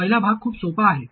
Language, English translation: Marathi, First part is very easy